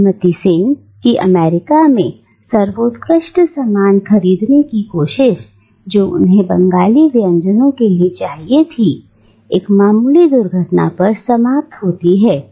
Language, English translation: Hindi, Now, this attempt by Mrs Sen to go and procure a quintessential item that is needed for a Bengali dish from the outside American space ends in a minor accident